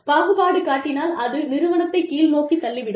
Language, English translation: Tamil, Any form of discrimination, will eventually pull the organization down